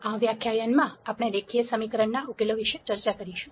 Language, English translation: Gujarati, In this lecture, we will discuss solutions to linear equation